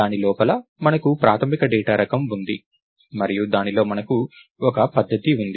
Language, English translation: Telugu, So, we have a basic data type inside it and we have a method inside it